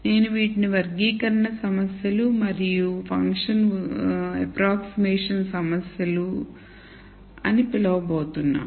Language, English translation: Telugu, So, I am going to call these as classification problems and function approximation problems